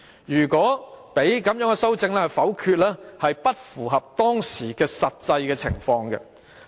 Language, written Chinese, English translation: Cantonese, 如果讓修正案遭否決，有違當時的實際情況。, If permission was given to negative the amendments it would be against the actual situation back then